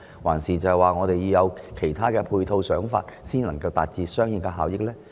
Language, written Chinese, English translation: Cantonese, 還是，政府應制訂其他配套和想法，才能達致相應的效益呢？, Or does the Government need to formulate other supporting measures or concepts before it can achieve the corresponding economic returns?